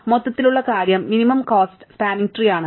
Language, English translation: Malayalam, The overall thing is a minimum cost spanning tree